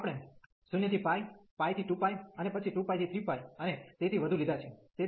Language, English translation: Gujarati, So, we have taken the 0 to pi, pi to 2 pi, and then 2 pi to 3 pi, and so on